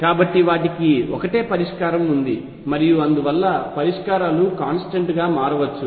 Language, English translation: Telugu, So, they have the same solution and therefore, at most the solutions could differ by a constant